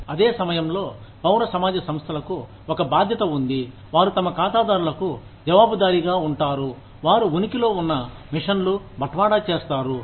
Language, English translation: Telugu, At the same time, civil society organizations, have a responsibility, have, are, accountable to their clients, to deliver the mission, that they exist, for